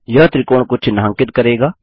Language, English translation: Hindi, Drag it tracing the triangle